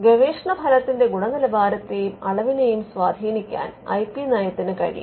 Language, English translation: Malayalam, Now, the IP policy can also influence the quality and quantity of research output